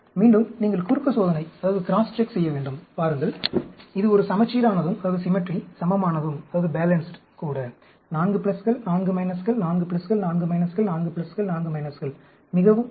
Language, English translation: Tamil, Again, you can, you have to crosscheck, see, it is also a symmetry, balanced; 4 pluses, 4 minuses, 4 pluses, 4 minuses, 4 pluses, 4 minuses; very nice